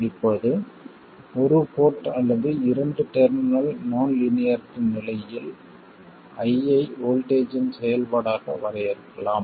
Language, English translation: Tamil, Now, in case of a single port or a two terminal non linearity, we could define I as a function of voltage